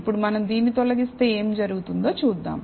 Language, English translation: Telugu, Now, let us see what happens, if we remove this